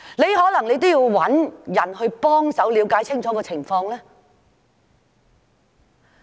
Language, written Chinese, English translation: Cantonese, 他可能也需要找人幫忙了解情況，對嗎？, He might also need someone to help understand the situation right?